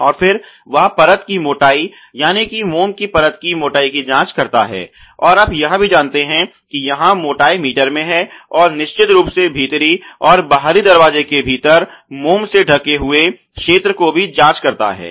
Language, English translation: Hindi, And then, he checks for the film thickness, the wax film thickness and also the you know thickness here is depth in meter, of course and also the coverage area of the wax within the inner and outer door ok